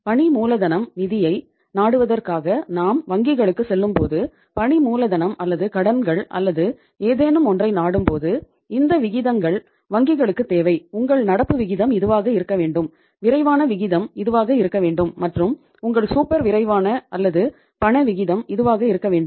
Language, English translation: Tamil, When we go the banks for seeking the working capital finance as the working capital say loans say limit or something then this ratio is a requirement of the banks that your current ratio should be this your quick ratio should be this and your super quick or the cash ratio should be this